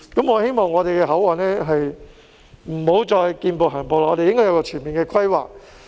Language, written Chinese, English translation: Cantonese, 我希望香港的口岸不要再"見步行步"，要有一個全面的規劃。, I hope that the boundary crossings in Hong Kong are no longer subject to a play - it - by - ear approach . We should have a comprehensive plan